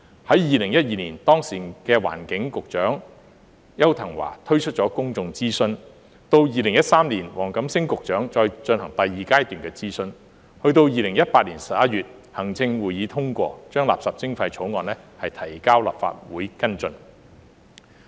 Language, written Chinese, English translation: Cantonese, 在2012年，當時的環境局局長邱騰華推出公眾諮詢，到2013年黃錦星局長再進行第二階段諮詢，及至2018年11月行政會議通過將垃圾徵費的相關法案提交立法會跟進。, In 2012 the then Secretary for the Environment Edward YAU launched public consultation and in 2013 Secretary WONG Kam - sing conducted the second phase of consultation . Then in November 2018 the Executive Council approved the introduction of the Bill on waste charging into the Legislative Council for follow - up